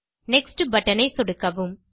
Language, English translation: Tamil, Click on the Next button